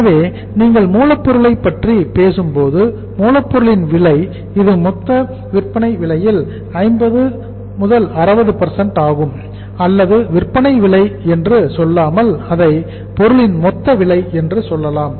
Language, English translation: Tamil, So when you talk about the raw material, cost of raw material it is 50 60% of the total selling price or total cost of the product you can say, not selling price, the cost of the product